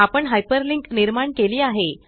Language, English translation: Marathi, We have created a hyperlink